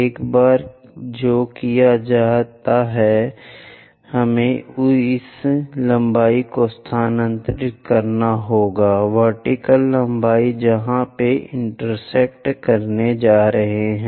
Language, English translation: Hindi, Once that is done we have to construct transfer this lengths, the vertical lengths where they are going to intersect